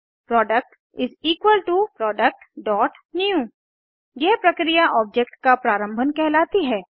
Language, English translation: Hindi, product = Product.new This process is called initialization of an object